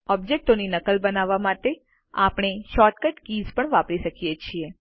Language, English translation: Gujarati, We can also use short cut keys to make copies of objects